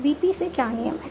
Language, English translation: Hindi, What are the rules from VP